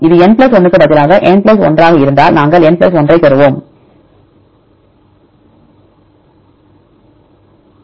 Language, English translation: Tamil, If it is n + 1 the same instead of n we use n + 1